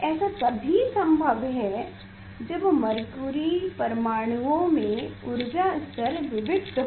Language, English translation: Hindi, this is it may happen if this mercury atoms have discrete energy levels